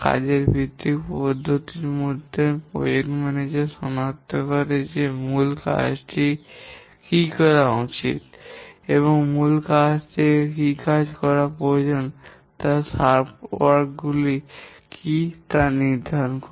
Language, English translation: Bengali, In the work based approach, the project manager identifies that to meet the objectives, what are the work that main work needs to be done and from the main work identify what are the sub work that need to be done